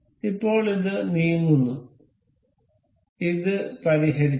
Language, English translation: Malayalam, So, now, this is moving and this is fixed